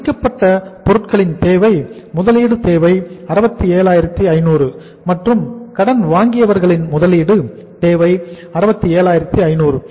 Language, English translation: Tamil, Finished goods requirement, investment requirement is 67,500 and sundry debtors investment requirement is 67,500